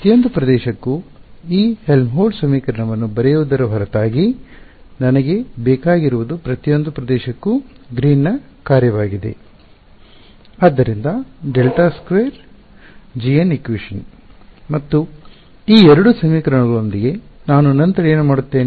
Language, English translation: Kannada, Apart from writing this Helmholtz equation for each region the other thing that I needed was Green’s function for each region alright; so, del squared g n plus k squared n squared g n is equal to delta r r prime alright